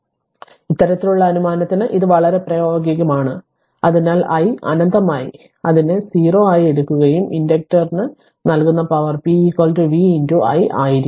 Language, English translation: Malayalam, So, it is very practical of this kind of assumption, so i minus infinity we take it as a 0 right and the power delivered to the inductor will be p is equal to v into I right